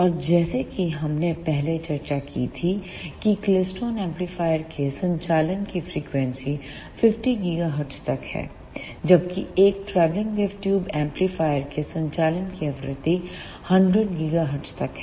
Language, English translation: Hindi, And as we discussed earlier the frequency of operation of klystron amplifier is up to 50 gigahertz, whereas the frequency of operation of a travelling wave tube amplifier is up to 100 gigahertz